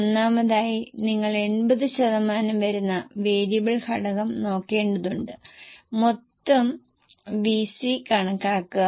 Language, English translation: Malayalam, First of all you will have to look at the variable component which is 80%